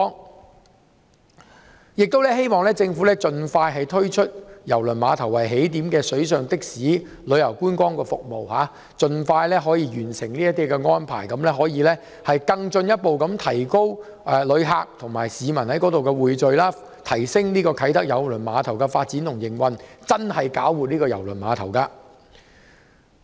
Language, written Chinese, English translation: Cantonese, 我亦希望政府盡早推出以郵輪碼頭為起點的水上的士及旅遊觀光服務，盡快完成這些安排，進一步提高旅客及市民在該處的匯聚，提升啟德郵輪碼頭的發展及營運，真正搞活郵輪碼頭。, I also hope that the Government can speedily launch the water taxis and sightseeing services with KTCT as the starting point boost the number of tourists and Hong Kong people gathering there and enhance the development and operation of KTCT thus really invigorating KTCT